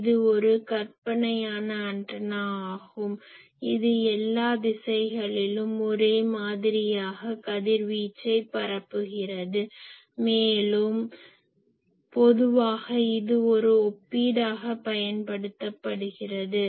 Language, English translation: Tamil, It is a fictitious antenna sorry that radiates uniformly in all directions and is commonly used as a reference